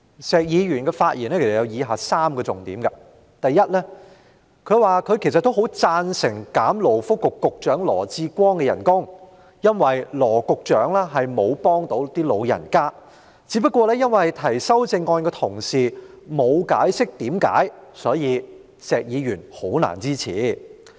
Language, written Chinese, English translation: Cantonese, 石議員的發言其實有3個重點：第一，他說他其實也很贊成削減勞工及福利局局長羅致光的薪酬，因為羅局長並沒有幫得到長者，只不過提出該項修正案的同事沒有解釋原因，因此石議員難以支持。, There were indeed three salient points in Mr SHEKs speech . Firstly he said he also strongly supported reducing the pay for Secretary for Labour and Welfare Dr LAW Chi - kwong as he offered no help to the elderly . It was only because the Honourable colleague proposing the amendment did not give any explanation that he found it difficult to lend his support